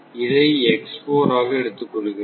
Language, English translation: Tamil, This diagram we will take